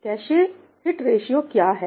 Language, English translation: Hindi, what is cache hit ratio